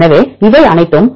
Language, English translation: Tamil, So, all these are